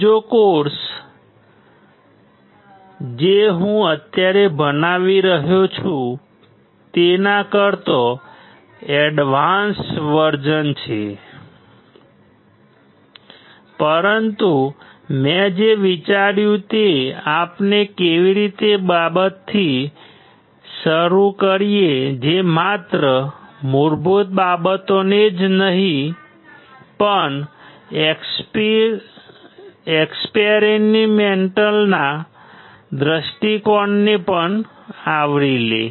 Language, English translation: Gujarati, There is another course which is advance version than what I am teaching right now, but what I thought is let us start with something which covers not only basics, but also covers the experiment point of view